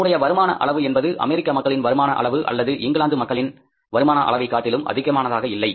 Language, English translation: Tamil, Our income level is not that much as compared to the income level of the people in US or the income level of people in UK or the income in the other European countries